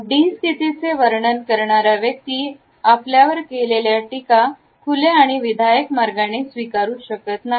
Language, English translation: Marathi, The person who is opted for the forth position named as D would find it difficult to accept criticism in an open and constructive manner